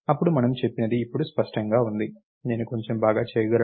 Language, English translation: Telugu, Then what we said was now clearly, I can do little bit better